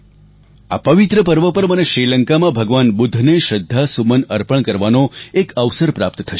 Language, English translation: Gujarati, On this holy event I shall get an opportunity to pay tributes to Lord Budha in Sri Lanka